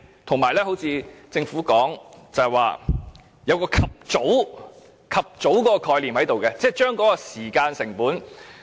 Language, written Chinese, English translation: Cantonese, 正如政府所說，須有"及早"解決的意識，降低時間成本。, Just like what the Government has said we should aim for early resolution to reduce the time cost